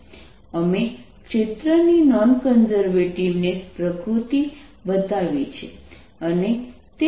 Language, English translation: Gujarati, we showed the non conservative nature of the field